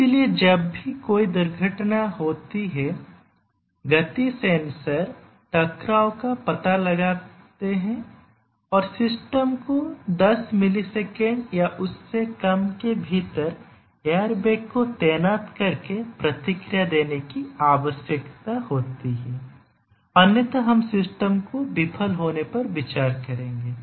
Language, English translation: Hindi, So, whenever there is a automobile crash the motion sensors detect a collision and the system needs to respond by deploying the airbag within ten millisecond or less otherwise we will consider the system to have been failed